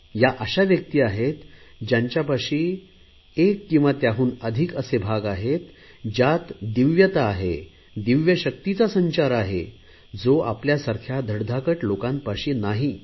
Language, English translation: Marathi, They are those people who have one or more such organs which have divinity, where divine power flows which we normal bodied people do not have